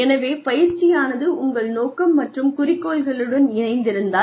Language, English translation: Tamil, So, if the training, is aligned with your goals and objectives